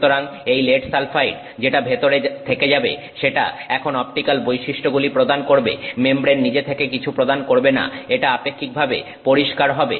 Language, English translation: Bengali, So, the lead sulfide that stays inside it is now providing the optical property, the membrane itself is not providing anything it is relatively clear